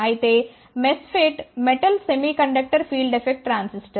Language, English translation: Telugu, MOSFET is metal oxide semi conductor field effect transistor